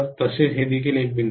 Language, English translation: Marathi, Similarly, this is also a dot